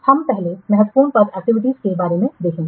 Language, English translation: Hindi, We'll first see about critical path activities